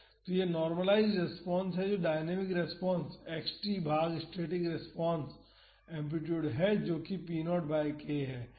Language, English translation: Hindi, So, this is the normalized response that is the dynamic response x t divided by the static response amplitude, that is p naught by k